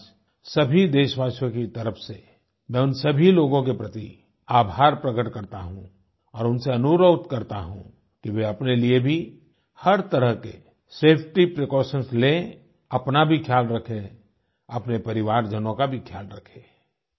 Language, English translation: Hindi, On behalf of all countrymen, today I wish to express my gratitude to all these people, and request them, that they follow all the safety precautions, take care of themselves and their family members